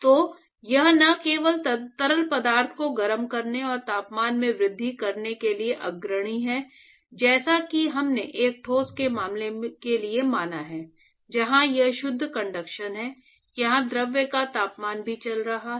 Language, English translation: Hindi, So, it is not only leading to just heating the fluid and increasing the temperature, unlike what we considered for a case of a solid, where it is pure conduction here the temp the fluid is also moving